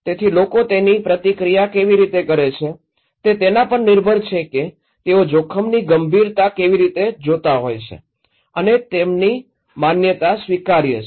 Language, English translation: Gujarati, So, how people react it depends on how they are perceiving the seriousness of the risk and perceiving their perceived acceptability okay